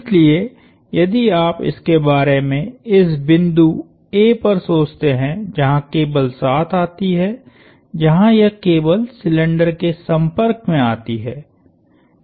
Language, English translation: Hindi, So, if you think of it at this point A where the cable comes together, where this cable comes in contact with the cylinder